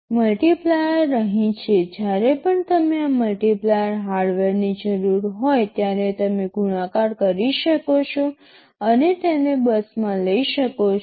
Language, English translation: Gujarati, The multiplier is sitting here; whenever you need this multiplier hardware you can multiply and bring it to the, a bus